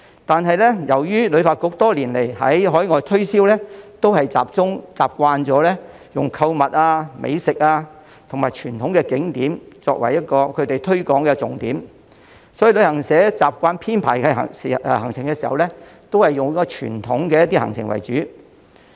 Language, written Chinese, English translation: Cantonese, 但是，由於旅發局多年來進行的海外推銷都習慣用購物、美食和傳統景點為推廣重點，所以旅行社在編排行程時亦習慣以傳統行程為主。, So they have all organized similar activities in the past . However given that HKTB has focused its overseas promotion on shopping food and traditional scenic spots in Hong Kong travel agents are thus used to focusing on traditional itineraries when they design their tours